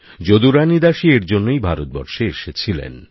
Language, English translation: Bengali, Jadurani Dasi ji had come to India in this very connection